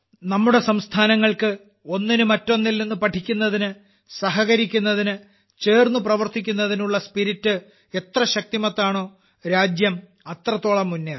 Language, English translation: Malayalam, In all our states, the stronger the spirit to learn from each other, to cooperate, and to work together, the more the country will go forward